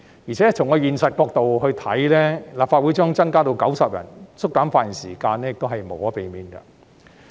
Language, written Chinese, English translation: Cantonese, 而且，從現實角度來看，立法會議員將增加至90人，縮減發言時間也是無可避免的。, From a practical point of view shortening the speaking time is inevitable given that the number of Legislative Council Members will increase to 90